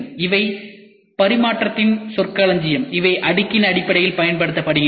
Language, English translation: Tamil, These are terminologies which are interchanged which are used in terms of layer